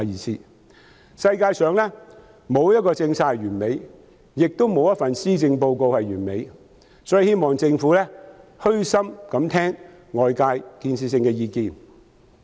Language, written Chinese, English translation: Cantonese, 世界上沒有一項政策是完美的，亦沒有一份施政報告是完美的，所以希望政府可以虛心聆聽外界有建設性的意見。, None of the policies on earth is perfect and none of the policy addresses is perfect . Hence I hope the Government will humble itself to listen to the constructive views of outsiders